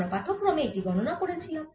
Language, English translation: Bengali, this we had already calculated in the lecture